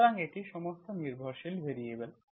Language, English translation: Bengali, So it is all, it is all dependent variables